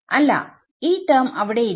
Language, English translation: Malayalam, So, this term is not there